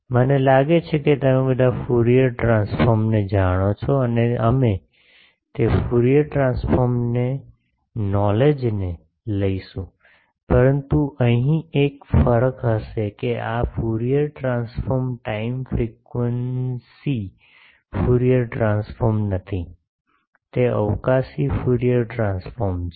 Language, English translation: Gujarati, Well I think all of you know Fourier transform and we will use that Fourier transform knowledge the, but there will be a difference here that this Fourier transform is not the time frequency Fourier transform, it is a spatial Fourier transform